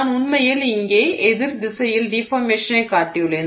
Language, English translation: Tamil, So, here I have actually shown you deformation in the sort of the opposite direction here